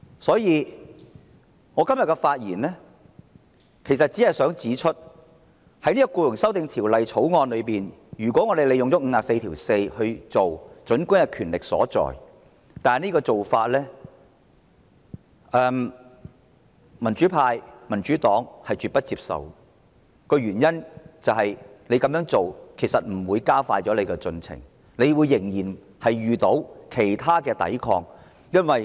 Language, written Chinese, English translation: Cantonese, 所以，我只想在今天的發言中指出，引用《議事規則》第544條處理這項法案，儘管有其權力依據，但這做法是民主派、民主黨絕不接受的，因為這並不能讓政府加快進程，它仍然會遇到其他抵抗。, Therefore I just wish to point out in my speech today that although we do have the basis for exercising the power to invoke Rule 544 of the Rules of Procedure to deal with the Employment Amendment Bill 2019 this is absolutely unacceptable to pro - democracy Members and the Democratic Party because this will not enable the Government to expedite the legislative process and the Administration will still encounter other resistance